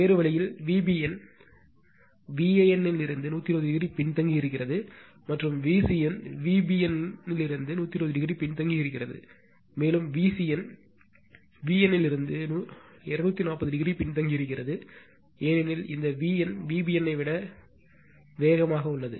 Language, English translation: Tamil, And other way V b n is lagging from V a n by 120 degree, and V c n is lagging from V b n by 120 degree, and V c n is lagging from V n from V n by 240 degree, because this V n is reaching it is peak fast than V b n right